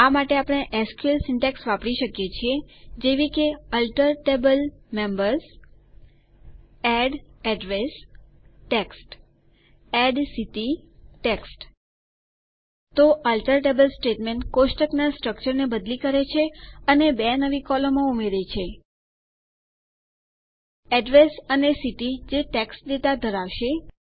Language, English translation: Gujarati, For this we can use SQL syntax such as: ALTER TABLE Members ADD Address TEXT, ADD City TEXT So the ALTER TABLE statement changes the table structure and adds two new columns: Address and City which will hold TEXT data